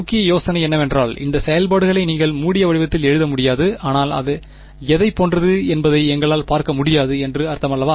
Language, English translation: Tamil, The main idea is that these functions are not you cannot write them in closed form ok, but that does not mean we cannot numerically see what it looks like